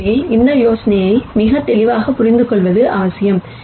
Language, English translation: Tamil, So, it is important to understand this idea very clearly